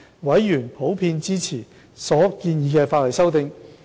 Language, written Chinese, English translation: Cantonese, 委員普遍支持所建議的法例修訂。, Members of the Panel generally supported the proposed legislative amendments